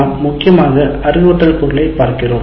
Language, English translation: Tamil, , we mainly look at the instruction material